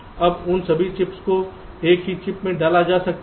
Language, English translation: Hindi, now all those chips on the boards can be squeezed in to a single chip today